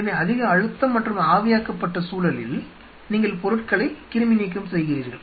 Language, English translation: Tamil, So, in a high pressure and in a vaporized environment you sterilize the stuff